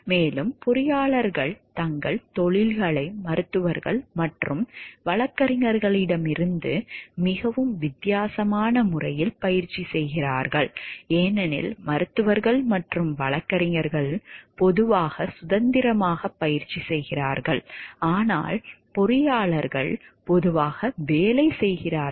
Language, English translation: Tamil, And also the engineers practice their professions in a very different way from the physicians and lawyers, because physicians and lawyers are generally the practice independently more so, the lawyers, but engineers are generally like they get employed